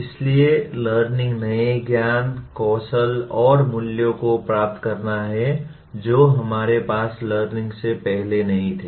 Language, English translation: Hindi, So learning is acquiring new knowledge, skills and values that we did not have prior to the event of learning